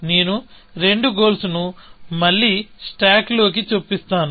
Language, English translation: Telugu, So, I will insert both the goals again, into the stack